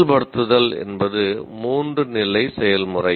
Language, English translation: Tamil, Now activate is a three stage process